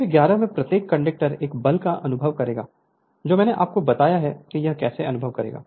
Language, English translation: Hindi, Each conductor in figure 11 will experience a force I told you how it will experience